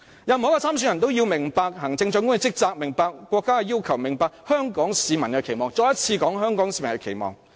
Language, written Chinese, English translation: Cantonese, 任何一位參選人都要明白行政長官的職責、國家的要求、香港市民的期望——我再一次說，是"香港市民的期望"。, Every election candidate should be conversant in the duties of the Chief Executive requirements of the state expectations of the Hong Kong citizens―I repeat the expectations of the Hong Kong citizens